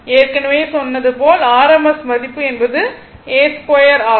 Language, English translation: Tamil, I told you rms value means a square